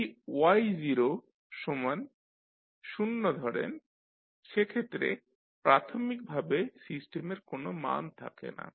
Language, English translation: Bengali, Now, if you consider y0 equal to 0 that is initially this system does not have any value